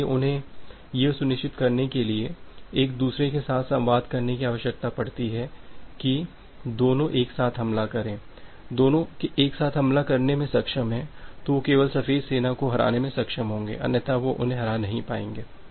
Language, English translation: Hindi, So, they need to communicate with each other to make sure that both of them attack simultaneously; both of them are able to attack simultaneously then they only they will be able to defeat the white army otherwise they will be not able to defeat